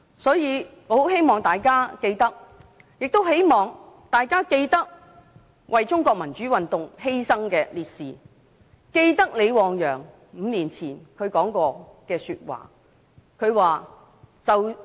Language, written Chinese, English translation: Cantonese, 所以，我很希望大家記得為中國民主運動犧牲的烈士和李旺陽5年前說過的話。, Thus I very much hope that we will remember the martyrs of the democratic movement of China and what LI Wangyang said five years ago